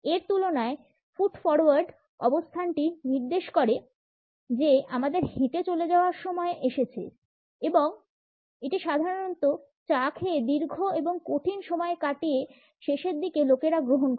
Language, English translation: Bengali, In comparison to this, the foot forward position suggest that we are about to walk away and it is normally adopted by people towards the end of a rather long and tough tea